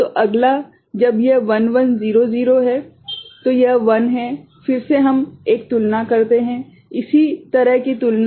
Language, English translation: Hindi, So, next when it is 1 1 0 0 this is the 1, again we do a comparison; similar comparison